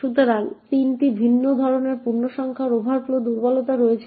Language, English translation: Bengali, So, there are 3 different types of integer overflow vulnerabilities